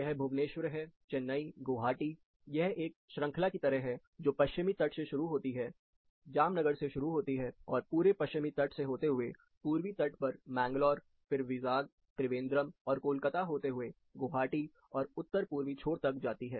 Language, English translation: Hindi, This represents Buvaneshwar, this is Chennai, Guwahati, it is like a chain starting from west coast, it starts at Jamnager, and goes all the way to West coast, East coast, you have Mangalore, then you have Vizag, Trivandrum, you have Kolkata all the way to Guwahati and north eastern tip